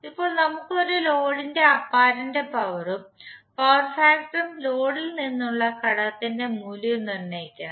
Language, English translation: Malayalam, Now we have to find out the apparent power and power factor of a load and determined the value of element from the load